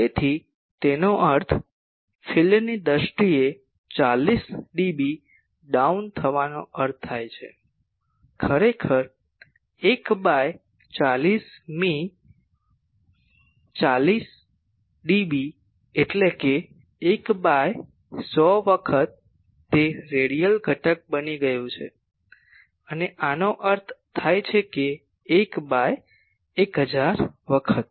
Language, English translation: Gujarati, So that means, 40 dB down in field terms means actually 1 by 100th 40 dB; means 1 by 100 times it has become radial component and this means 1 by 1000 times